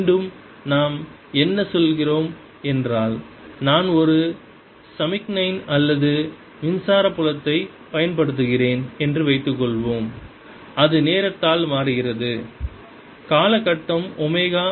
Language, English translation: Tamil, again, what we mean by that is: let's suppose i am applying a signal or electric field which is changing in time, the time period is omega